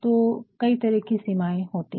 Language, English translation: Hindi, So, there are certain limitations